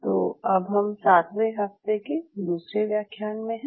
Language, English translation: Hindi, So, we are into week 7 lecture 2